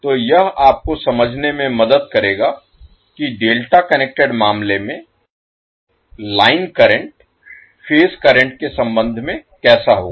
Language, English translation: Hindi, So this will give you an idea that how the current in case of delta connected will be having relationship with respect to the phase currents